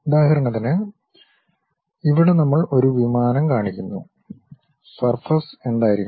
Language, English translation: Malayalam, For example, here we are showing an aircraft, what should be the surface